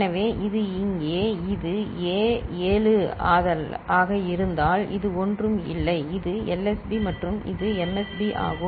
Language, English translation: Tamil, So, this here so, if it is A 7 then this is A naught so, this is the LSB and this is the MSB